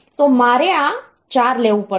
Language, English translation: Gujarati, So, like I have to take this 4